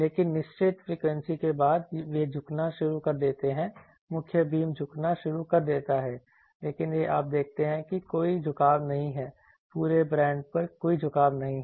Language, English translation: Hindi, But, after certain frequency they start tilting, the main beam starts tilting, but this one you see that there is no tilting in the throughout the whole band there is no tilting